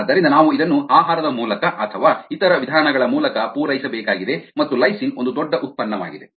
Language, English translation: Kannada, so we need to supplemented through diet or are the means, and therefore lysine is a huge product